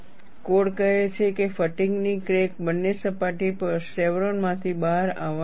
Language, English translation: Gujarati, The code says the fatigue crack has to emerge from the chevron on both surfaces